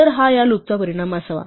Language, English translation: Marathi, So, this should be outcome of this loop